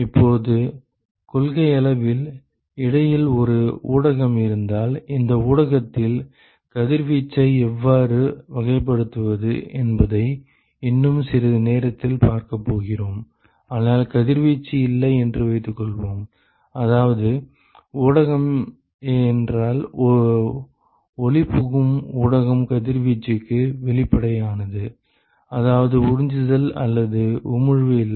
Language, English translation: Tamil, Now, in principle if there is a there is a medium in between, we are going to see in a short while, how to characterize radiation in this medium, but let us assume that there is no radiation, which means that if the medium is transparent; the media is transparent to radiation, which means there is no absorption or emission